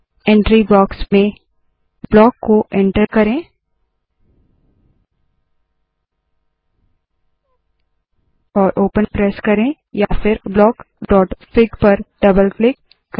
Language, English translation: Hindi, In the entry box, we can enter block and press open.Or double click on block.fig